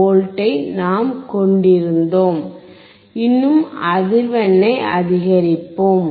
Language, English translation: Tamil, 76V so, let us still increase the frequency